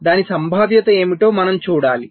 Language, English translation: Telugu, what is the probability for that